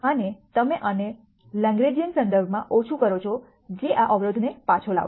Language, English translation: Gujarati, And you also minimize this with respect to Lagrangian which will back out the constraint